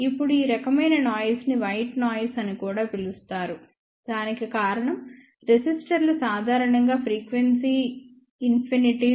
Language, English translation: Telugu, Now, this type of noise is also known as white noise; the reason for that is resistors are generally frequency insensitive